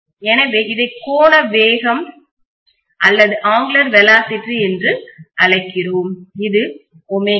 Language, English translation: Tamil, So we call this as angular velocity, which is omega